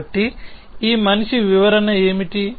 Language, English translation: Telugu, So, what is this man interpretation